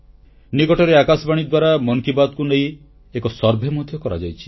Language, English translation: Odia, Recently, All India Radio got a survey done on 'Mann Ki Baat'